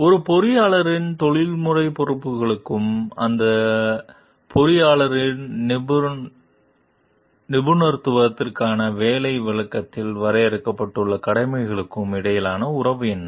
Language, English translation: Tamil, What is the relationship between an engineer's professional responsibilities and the duties delineated in the job description for that engineer's professssion